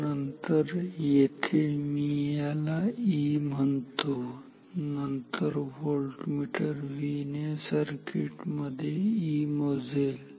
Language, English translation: Marathi, So, then ok, so here this V if this I if I call this E, then this voltmeter V measures E in this circuit